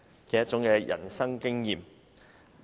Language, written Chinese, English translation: Cantonese, 旅行是一種人生經驗。, Travelling are experiences in life